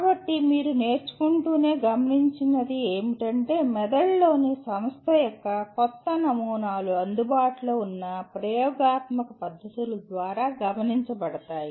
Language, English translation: Telugu, So, what was observed is as you keep learning, new patterns of organization in the brain are observed through available experimental methods